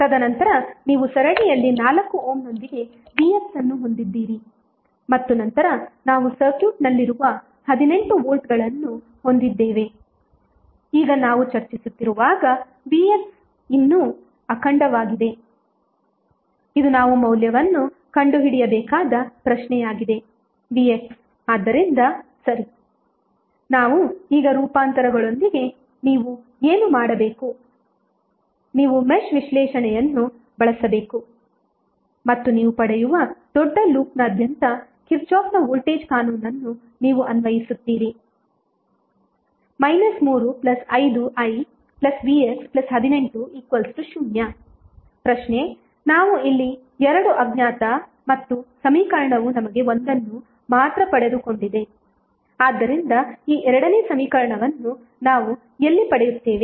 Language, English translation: Kannada, And then you have 4 ohm in series with Vx and then 18 volts which we have in the circuit, now as we discuss now Vx is still intact which is the question that we need to find out the value of Vx so we are okay with the transformations now, what you have to do, you have to use mesh analysis and you apply Kirchhoff’s voltage law across the bigger loop what you will get, you will get, minus 3 plus 4 ohm plus 1 ohm will be like the 5 ohm into current I